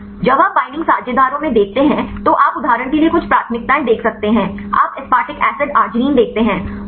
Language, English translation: Hindi, When you look into the binding partners you can see some preferences for example, you see aspartic acid arginine you can the highest value of 8